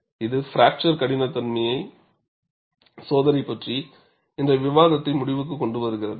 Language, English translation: Tamil, And this brings to a close of our discussion on fracture toughness testing